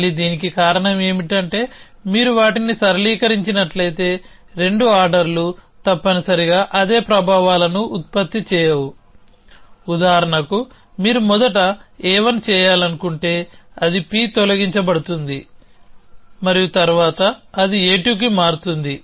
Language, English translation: Telugu, Again, the reason for this is, that if you got to linearise them then the 2 orders will not produce the same effects essentially, for example if you going to do a 1 first then it would delete P and then it convert to a 2 after that you could do a 2 first and a 1 afterwards